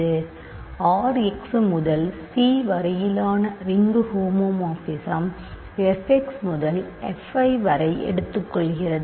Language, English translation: Tamil, So, consider ring homomorphism from R x to C which takes f x to f i